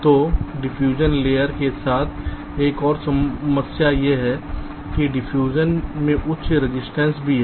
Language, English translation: Hindi, so an another problem with the diffusion layer is that diffusion is also having high resistance